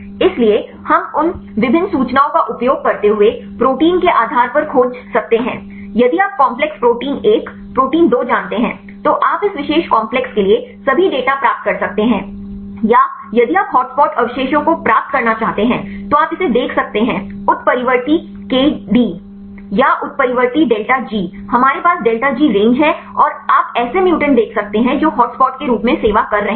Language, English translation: Hindi, So, we use the different information you can search based on the proteins if you know the complexes protein 1, protein 2, you can get all the data for this particular complex or if you want to get the hot spot residues you can see the a mutant K D or mutant delta G, we have the delta G give the range and you can see mutants which are serving as hotspots